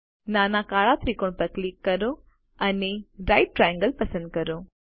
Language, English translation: Gujarati, Click on the small black triangle and select Right Triangle